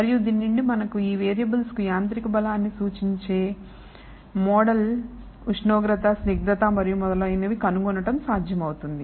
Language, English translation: Telugu, And from this it is possible to infer provided we have a model that relates the mechanical strength to these variables temperature viscosity and so on